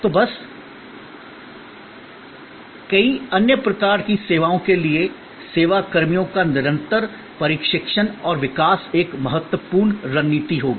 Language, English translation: Hindi, So, just as for many other types of services, the continuous training and development of service personnel will be an important strategy